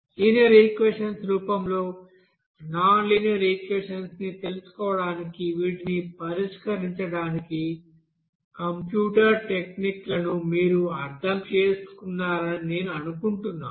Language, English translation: Telugu, So I think you understood this you know computer techniques to you know how to solve this to find out that you know nonlinear equation as a form of you know linear equation